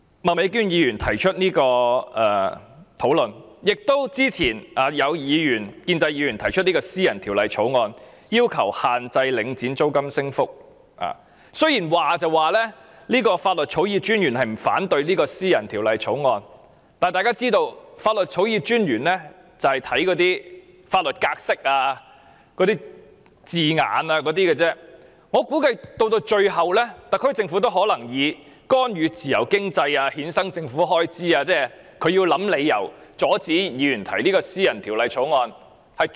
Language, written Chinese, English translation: Cantonese, 麥美娟議員今天提出這項議案辯論，以及之前有建制派議員曾提出私人條例草案，要求限制領展的租金升幅，雖然法律草擬專員不反對該項私人條例草案，但大家也知道，法律草擬專員只着重法律格式和用字，我估計特區政府最後也會以干預自由經濟、衍生政府開支等理由，阻止議員提出私人條例草案。, Some time ago a Member from the pro - establishment camp proposed a private bill requesting the capping of rent increases imposed by Link REIT . Though the Law Draftsman does not oppose the private bill we all know that the Law Draftsmans focus will merely be on the format and wording of the private bill . I guess the SAR Government will obstruct the Member from proposing the private bill on the grounds that the bill will cause intervention in free economy and incur government expenditure and so on